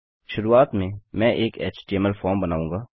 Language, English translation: Hindi, To start with Ill create an html form